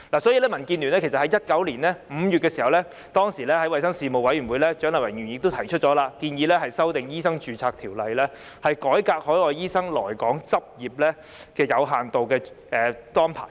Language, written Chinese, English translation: Cantonese, 所以，民主建港協進聯盟在2019年5月的衞生事務委員會會議上，由蔣麗芸議員提出修訂《醫生註冊條例》的建議，改革海外醫生來港執業的有限度註冊安排。, In this connection at a meeting of the Panel on Health Services in May 2019 Dr CHIANG Lai - wan of the Democratic Alliance for the Betterment and Progress of Hong Kong DAB proposed amendments to the Medical Registration Ordinance with the aim of reforming the arrangements for overseas doctors to practise in Hong Kong under limited registration